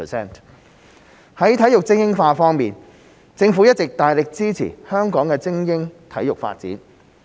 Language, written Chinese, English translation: Cantonese, 在體育精英化方面，政府一直大力支持香港的精英體育發展。, When it comes to elite sports the Government has been vigorously supporting the development of elite sports in Hong Kong